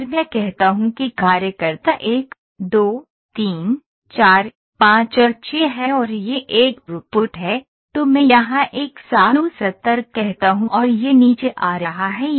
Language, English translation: Hindi, If I say worker 1, 2, 3, 4, 5 and 6 and this is a throughput it is let me say 170 here, and it is coming down like this